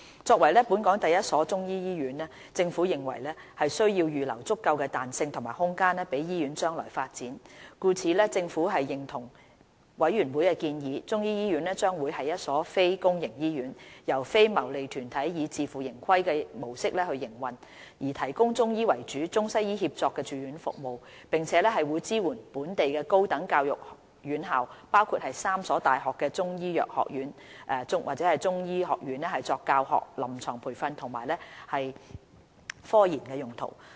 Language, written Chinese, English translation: Cantonese, 作為本港第一所中醫醫院，政府認為需要預留足夠彈性及空間予醫院將來發展，故此政府認同委員會的建議，中醫醫院將為一所非公營醫院，由非牟利團體以自負盈虧模式營運，提供以中醫為主的中西醫協作住院服務，並會支援本地高等教育院校，包括3所大學的中醫藥學院/中醫學院作教學、臨床培訓及科研用途。, As the first Chinese medicine hospital in Hong Kong the Government considers that it is necessary to allow flexibility and room for its future development and therefore agrees with the CMDCs recommendations that the Chinese medicine hospital should be a non - public hospital and be operated by non - profit - making organizations on a self - financing basis . The Chinese medicine hospital will provide ICWM inpatient services with Chinese medicine having the predominant role . The hospital will also support the teaching clinical training and scientific research of higher education institutions in Hong Kong including the Schools of Chinese Medicine of three universities